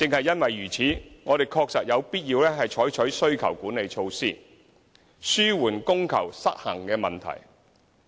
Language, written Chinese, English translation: Cantonese, 因此，我們確實有必要採取需求管理措施，紓緩供求失衡的問題。, Thus we really must adopt demand - side management measures to alleviate the demand - supply imbalance